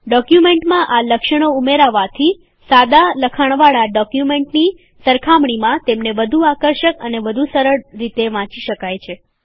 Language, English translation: Gujarati, Applying these features in the documents make them more attractive and much easier to read as compared to the documents which are in plain text